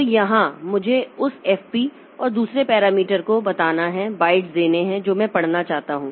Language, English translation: Hindi, So, here I have to tell that FP and the other parameter that I want to give is the number of bytes that I want to read